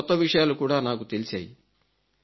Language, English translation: Telugu, I got a lot of new information